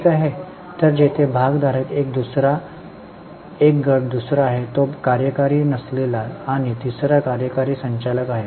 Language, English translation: Marathi, So, we have shareholder is one group, second is non executive and third is executive directors